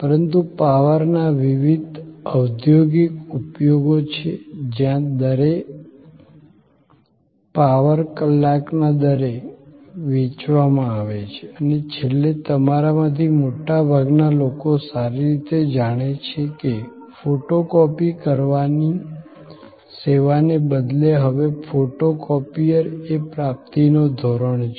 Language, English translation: Gujarati, But, there are various industrial usage of power where it is sold by power by hour and lastly, very well known to most of you is that, photo copying service is now norm of procurement instead of photocopiers